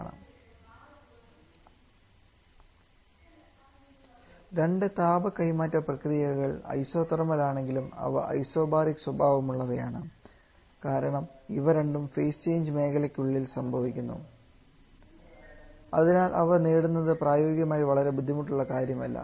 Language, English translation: Malayalam, While the two heat transfer process and isothermal but there also isobaric in nature because both are happening inside the phase change zone and so achieving them is practice is not very difficult but it is very difficult to have this compression process starting from a mixture